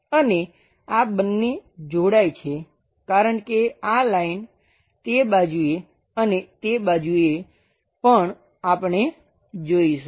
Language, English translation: Gujarati, And these two supposed to get joined because this line on that side on that side also we will see